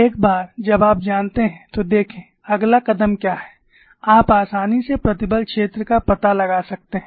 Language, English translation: Hindi, Once you know, see, what is the next step, you can easily find out the stress field